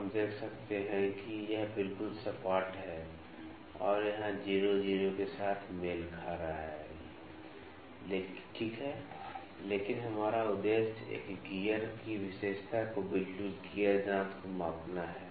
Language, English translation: Hindi, Now, we can see that this is exactly flat and here the 0 is coinciding with the 0, ok, but our purpose is to measure the feature of a gear exactly gear tooth